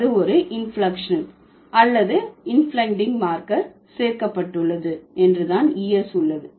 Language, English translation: Tamil, It just that there is an inflectional or inflecting marker added and that is ES